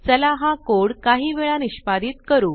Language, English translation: Marathi, I will run this code a few times